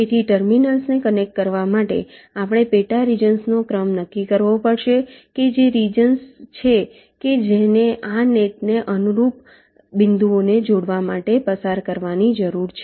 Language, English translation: Gujarati, ok, so for connecting the terminals, we have to determine a sequence of sub regions, the which are the regions that need to be traversed to connect the points corresponding to this net